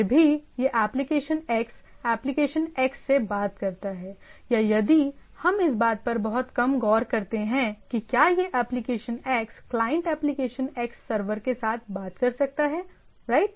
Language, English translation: Hindi, Nevertheless, this application X talks to the application X, right or if we little bit look on if the this is a application X client talks with the application X server, right